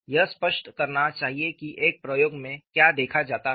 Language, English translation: Hindi, It should explain what is seen in an experiment